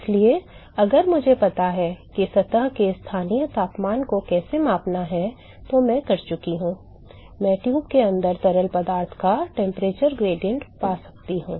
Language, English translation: Hindi, So, if I know how to measure the local temperature of the surface, I am done I can find the temperature gradient of the fluid inside the tube